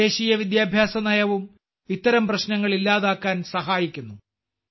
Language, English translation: Malayalam, The new National Education Policy is also helping in eliminating such hardships